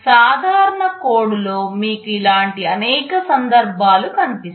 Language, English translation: Telugu, In a general code you will find many such instances